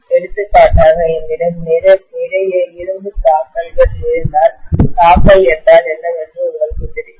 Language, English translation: Tamil, For example, if I have a lot of iron filings, you know what is filing, right